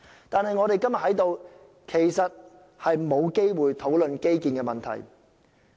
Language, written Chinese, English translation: Cantonese, 但是，我們今天在此沒有機會討論基建的問題。, That said we are unable to discuss the problem of infrastructure today